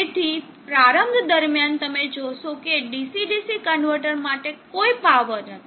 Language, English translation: Gujarati, So during this start you will see that there is no power for the DC DC converter